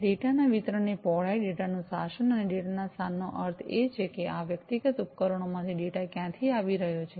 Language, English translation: Gujarati, Breadth of distribution of the data, governance of the data, and the location of the data meaning that where from the data are coming from these individual devices